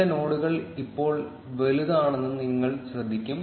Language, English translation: Malayalam, You will notice that some nodes now are bigger